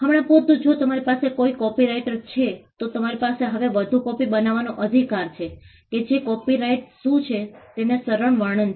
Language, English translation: Gujarati, For instance, if you have a copyright then you simply have the right to make further copies now that is a simple explanation of what a copyright is